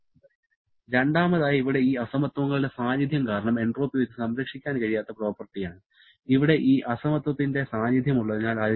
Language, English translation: Malayalam, Secondly, entropy is a non conserved property because of the presence of these inequalities and also the presence of this inequality here